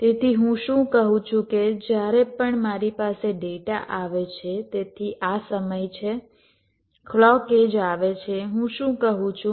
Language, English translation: Gujarati, so what i am saying is: whenever i have a data coming so this is time the clock edge is coming what i am saying: i must keep my data stable